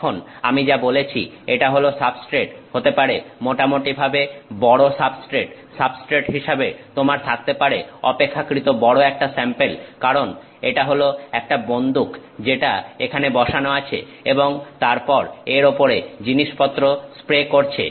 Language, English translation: Bengali, Now, as I said that the substrate can be a fairly large substrate, you can have a pretty large sample as a substrate because, this is a gun which is sitting here and then spraying stuff on it